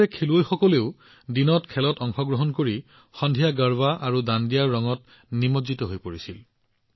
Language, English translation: Assamese, While the players also used to participate in the games during the day; in the evening they used to get immersed in the colors of Garba and Dandiya